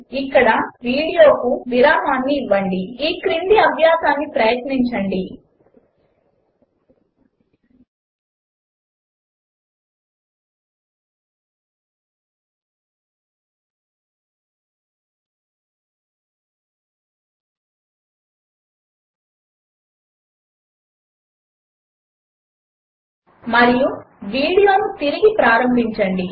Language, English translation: Telugu, Now, pause the video here, try out the following exercise and resume the video